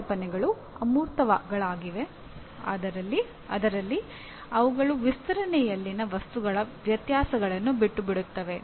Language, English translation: Kannada, Concepts are abstracts in that they omit the differences of the things in their extension